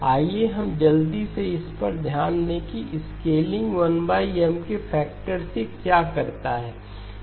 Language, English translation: Hindi, Let us quickly take a look at what does this scaling by a factor of 1 by M